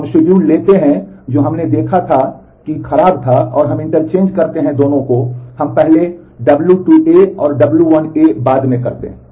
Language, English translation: Hindi, We take the schedule S which we saw was bad, and we interchange, these 2 we do w 2 for a first and w 1 A next